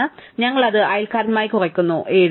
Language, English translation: Malayalam, So, we reduce it with neighbour 7